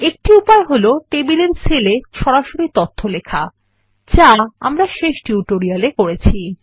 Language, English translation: Bengali, One way is to directly type in data into the cells of the tables, which we did in the last tutorial